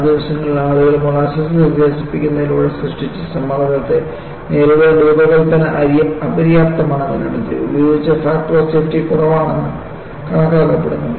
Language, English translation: Malayalam, So, in those days, people concluded finally, the design was found to be inadequate to withstand the pressure created by expanding molasses and the factor of safety used was considered to be low